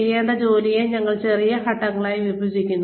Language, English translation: Malayalam, We break the work, that is required to be done, into smaller steps